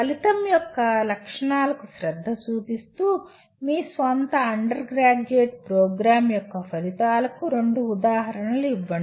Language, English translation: Telugu, Give two examples of outcomes of your own undergraduate program paying attention to the features of an outcome